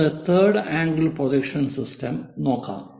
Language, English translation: Malayalam, Let us look at third angle projection system